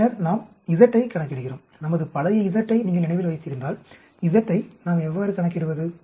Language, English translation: Tamil, And then we calculate the z, if you remember our old z, z how do we calculate